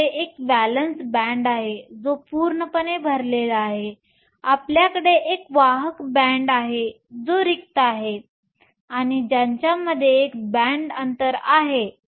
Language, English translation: Marathi, We have a valence band that is completely full, we have a conduction band that is empty and we have a band gap in between them